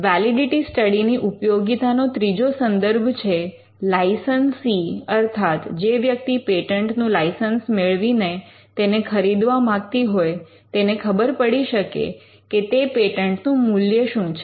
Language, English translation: Gujarati, The third scenario where a validity study will be relevant is to ensure that licensee or a person who is trying to buy out patent can have an understanding on how much the patent is worth